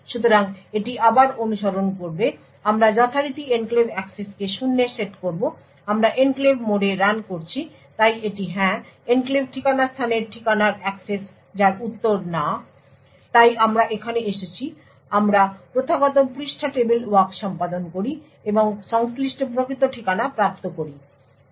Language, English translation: Bengali, So will follow this again will set enclave access to zero then is it in enclave mode so it is no so we go here perform the traditional page directly page table walk and obtain the corresponding physical address and check whether it is an enclave access